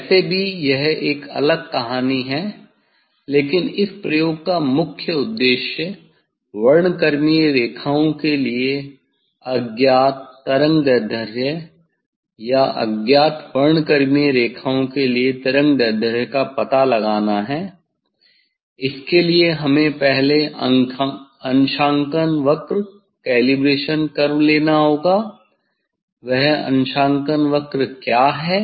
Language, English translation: Hindi, Anyway, that is a different story but, main aim for this experiment is to find out the; find out the unknown wavelength for spectral lines or wavelength for unknown spectral lines for that first we have to; we have to give the calibration curve, what is that calibration curve